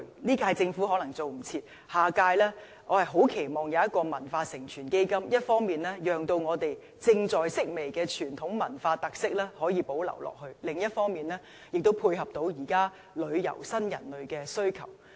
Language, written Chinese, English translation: Cantonese, 這屆政府可能趕不及設立，我很期望下一屆政府會設立"文化承傳基金"，一方面讓我們正在式微的傳統文化特色可以保留下去，另一方面，亦能滿足現代旅遊新人類的需求。, Probably this cannot be done by the Government of this term but I very much hope that a cultural transmission and development fund can be established by the Government of the next term . This initiative can on the one hand conserve our fading traditions with cultural characteristics and meet the demands of visitors of the new generation on the other